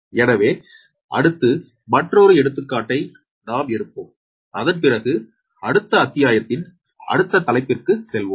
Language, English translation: Tamil, so next, another example we will take, and after that we will go to the next chapter, right